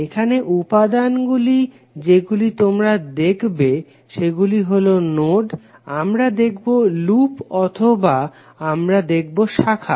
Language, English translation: Bengali, Here the elements which you will see would be like nodes, we will see the loops or we will see the branches